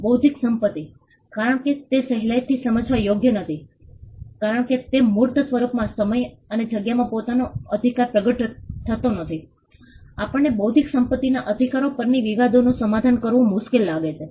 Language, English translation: Gujarati, Intellectual property because it is not readily discernible, because the rights do not manifest itself in time and space in a tangible on a tangible form, we find it difficult to settle disputes on intellectual property rights